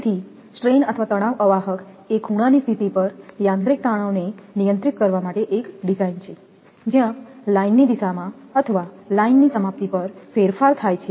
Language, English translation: Gujarati, So, strain or tension insulator a design for handling mechanical stresses at angle position, where there is a change in the direction of line or at the termination of the line